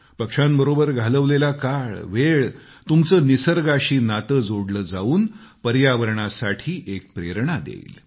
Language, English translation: Marathi, Time spent among birds will bond you closer to nature, it will also inspire you towards the environment